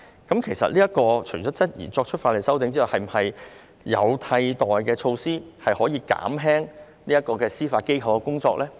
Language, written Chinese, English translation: Cantonese, 我們除了質疑這項法例修訂外，亦質疑是否有其他替代措施可以減輕司法機構的工作呢？, In view of the heavy caseloads it decided to amend the High Court Ordinance instead . We query apart from the legislative amendments whether there are other alternative measures that can alleviate the workload of the Judiciary